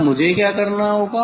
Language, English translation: Hindi, then I will what I have to do